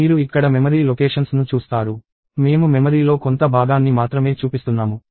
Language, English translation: Telugu, So, you see memory locations here; I am showing only a segment of the memory